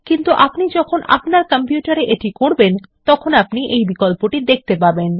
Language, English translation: Bengali, But when you try this on your computer, you will be able to see this option